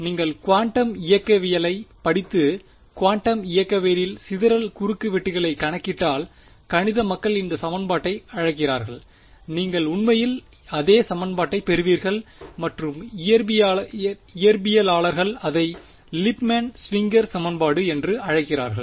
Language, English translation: Tamil, This is what the math people call this equation if you study quantum mechanics and calculate scattering cross sections in quantum mechanics you get actually the exact same equation and the physicists the physics people call it by the name Lipmann Schwinger equation